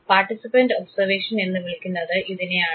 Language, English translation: Malayalam, This is called participant observation